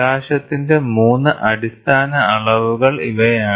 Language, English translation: Malayalam, So, these are the 3 basic dimensions of light